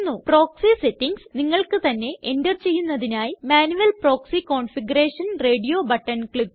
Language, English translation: Malayalam, To enter the proxy settings manually, click on Manual proxy configuration radio button